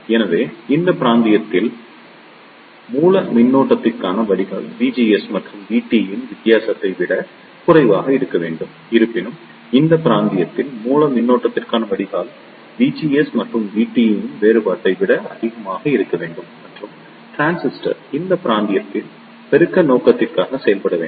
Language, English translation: Tamil, So, in this region the drain to source voltage should be less than the difference of V GS and V T; however, in this region the drain to source voltage should be greater than the difference of V GS and V T and the transistor should operate in this region for amplification purpose